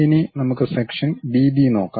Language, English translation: Malayalam, Now, let us look at section B B representation